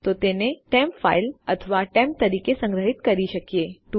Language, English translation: Gujarati, So we can save that as temp file or temp